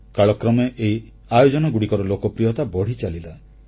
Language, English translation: Odia, Such events gained more popularity with the passage of time